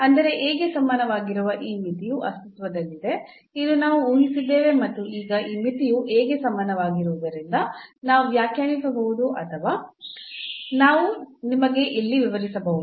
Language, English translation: Kannada, So; that means, this limit exist which is equal to A this is what we have assumed and now since this limit is equal to A we can define or let me just explain you here